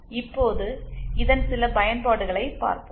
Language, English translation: Tamil, Now let us see some applications of this